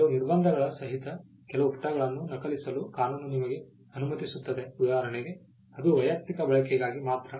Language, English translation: Kannada, The law allows you to copy few pages provided there are certain restrictions to it for instance it is for personal use